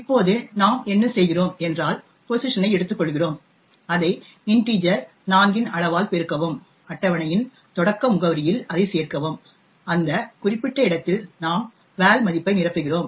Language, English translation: Tamil, Now what we do is we take pos multiply it by size of integers 4 add that to the starting address of table and at that particular location we fill in the value of val